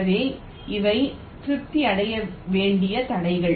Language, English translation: Tamil, so these are the constraints that need to be satisfied